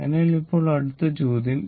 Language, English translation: Malayalam, So, now question is that for